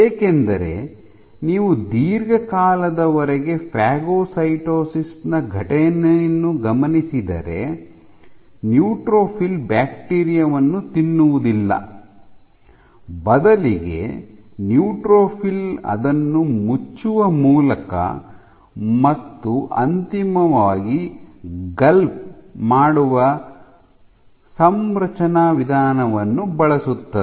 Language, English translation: Kannada, Because if you look at the phagocytosis long time you would see if this is the bacteria the phagocyte the neutrophil does not eat up the bacteria in this configuration, rather you have a configuration like this in which the neutrophil sends out it covers and eventually it gulps it ok